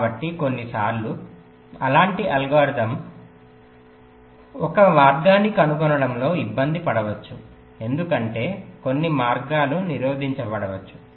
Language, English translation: Telugu, so there, sometimes the line such algorithm may find difficulty in finding a path because some of the paths may be blocked